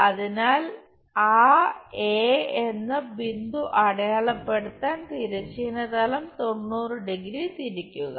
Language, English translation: Malayalam, Then, project this point A on to horizontal plane, then rotate it by 90 degree